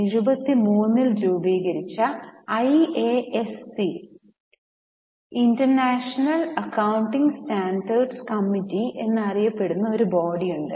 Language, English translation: Malayalam, Now, there is a body known as IASC International Accounting Standards Committee which was formed in 1973